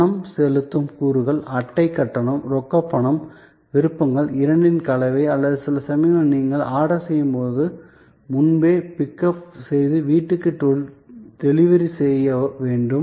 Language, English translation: Tamil, Payment elements, card payment, cash payment, options, mix of the two or sometimes when you are placing the order, beforehand just for pickup and bring home delivery